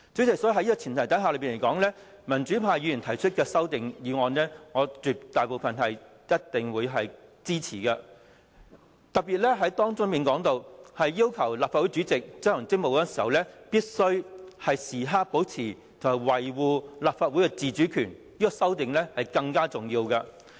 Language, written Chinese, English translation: Cantonese, 因此，代理主席，在這樣的前提之下，民主派議員提出的修正案，絕大部分是我一定會支持的；當中特別要求立法會主席執行職務的時候，必須時刻保持和維護立法會的自主權，這項修正案是更重要的。, Deputy President under this premise I will therefore definitely support most of the amendments proposed by the democratic Members . One of them is particularly proposed to provide that the President in discharging his duties shall preserve and defend the autonomy of the Legislative Council at all times . This amendment has greater importance as we see that the present Council is not fairly and equitably composed